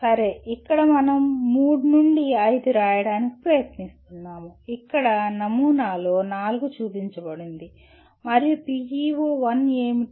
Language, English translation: Telugu, Okay here what are we trying to we need to write three to five, here the sample shows four and what is PEO 1